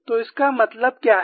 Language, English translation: Hindi, So, what does it imply